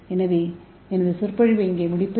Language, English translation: Tamil, So I will end my lecture here